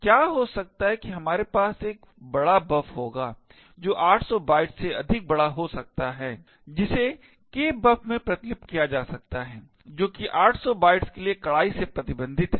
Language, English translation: Hindi, What could happen is that we would have a large buf which could be a much larger than 800 bytes getting copied into kbuf which is strictly restricted to 800 bytes thus we could get a buffer overflow which could be then used to create exploits